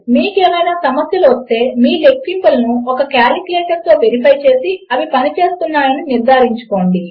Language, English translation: Telugu, If you come across any problems, always verify your calculations with a calculator to make sure theyre working